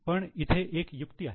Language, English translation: Marathi, But there is a trick